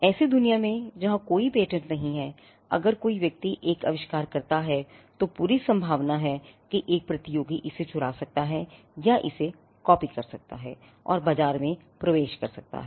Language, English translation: Hindi, In a world where there are no patents if a person comes out with an invention, there is all likelihood that a competitor could steal it or copy it and enter the market